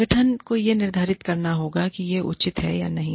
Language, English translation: Hindi, The organization has to determine, whether this is reasonable, or not